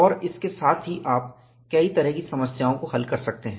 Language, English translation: Hindi, And with that, you could solve a variety of problems